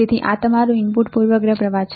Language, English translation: Gujarati, So, this is your input bias current input bias current